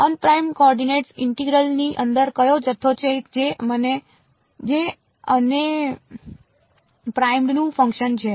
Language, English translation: Gujarati, Un primed coordinates; inside the integral which is the quantity which is the function of un primed